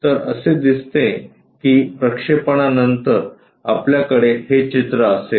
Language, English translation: Marathi, So, it looks like after projection we will have this picture